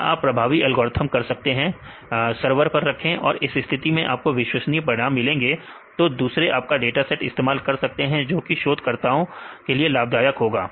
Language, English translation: Hindi, Or you can do effective algorithms, put the server and this case you can give the reliable results so the others can use your data set and that will be beneficial to other researchers in this speed